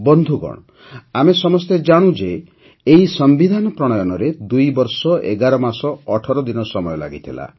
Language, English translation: Odia, Friends, all of us know that the Constitution took 2 years 11 months and 18 days for coming into being